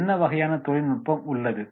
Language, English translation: Tamil, What type of technology is there